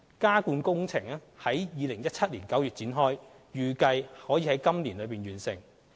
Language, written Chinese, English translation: Cantonese, 加固工程已於2017年9月展開，預計可以今年內完成。, The underpinning works commenced in September 2017 and are expected to be completed within this year